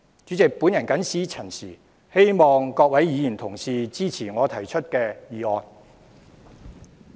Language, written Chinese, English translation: Cantonese, 主席，我謹此陳辭。希望各位議員支持我提出的議案。, President with these remarks I hope that Honourable Members will support the motion I have proposed